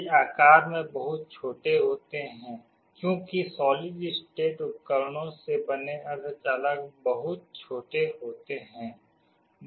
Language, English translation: Hindi, These are much smaller in size because the semiconductor made of solid state devices, they are very small